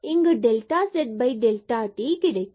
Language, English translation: Tamil, So, this when delta x and delta y goes to 0